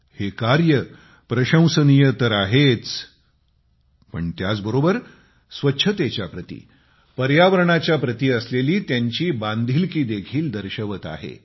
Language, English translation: Marathi, This deed is commendable indeed; it also displays their commitment towards cleanliness and the environment